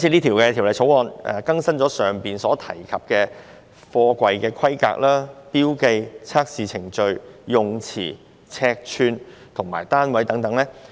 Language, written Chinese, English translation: Cantonese, 《條例草案》建議更新剛才提及的貨櫃規格、標記、測試程序、詞彙、尺寸和單位等。, The Bill proposes to update the specifications markings testing procedures terms dimensions and units relating to containers as I mentioned just now